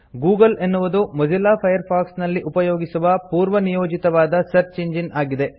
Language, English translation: Kannada, The default search engine used in Mozilla Firefox is google